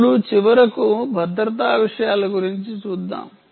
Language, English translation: Telugu, now, finally, about security matters